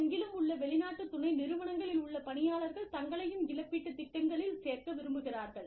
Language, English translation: Tamil, Employees in foreign subsidiaries, around the globe, want variable compensation schemes, to include them